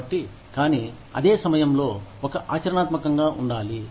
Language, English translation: Telugu, So, but at the same time, one has to be practical